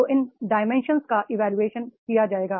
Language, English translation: Hindi, So those dimensions will be apprised